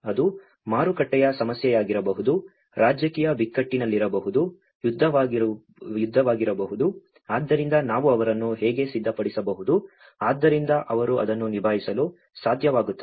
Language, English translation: Kannada, Like it could be a market issue, it could be in a political crisis, it could be a war, so how we can prepare them so that they can able to cope up with it